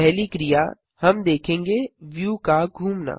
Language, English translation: Hindi, The next action we shall see is to rotate the view